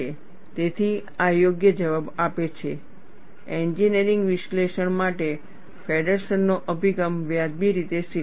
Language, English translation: Gujarati, So, this gives the justification, Feddersen’s approach for engineering analysis is reasonably acceptable